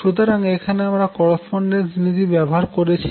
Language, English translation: Bengali, So, this is where I am using the correspondence principle